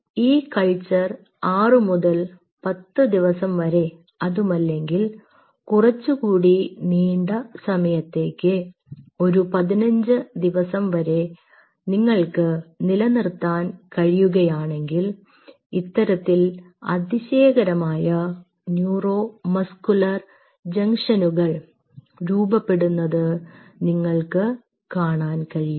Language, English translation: Malayalam, ok, and if you can hold this culture for i would say anything between six to ten days and slightly longer, say fifteen days, you will see wonderful neuromuscular junctions getting formed like this